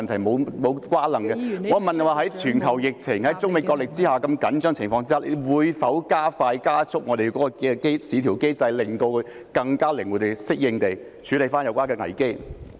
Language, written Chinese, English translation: Cantonese, 我問的是在全球疫情及中美角力如此緊張的情況下，局長會否加速優化我們的市調機制，令我們能更靈活及適應地處理有關危機？, I asked the Secretary whether he will in view of the very tense situation of the pandemic and the wrestling between China and the United States speed up the enhancement of VCM so that we can deal with the crises more flexibly and appropriately